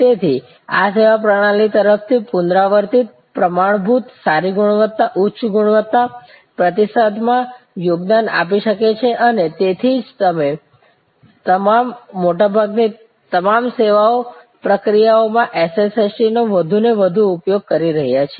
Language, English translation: Gujarati, These can therefore, contribute to repeatable, standard, good quality, high quality, response from the service system and that is why we are deploying more and more of this SST instances in all most all service processes